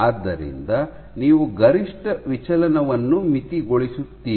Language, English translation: Kannada, So, you would limit the maximum deflection